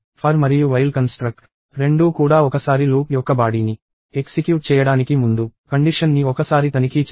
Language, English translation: Telugu, The for and while constructs – both check the condition once even before executing the body of the loop even once